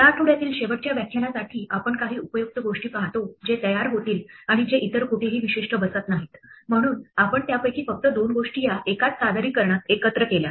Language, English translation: Marathi, For the last lecture this week we look at some useful things which will crop up and which do not fit anywhere else specific so we just combined a couple of them into this one single presentation